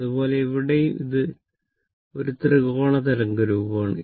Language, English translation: Malayalam, Similarly, here also it is a it is a triangular wave form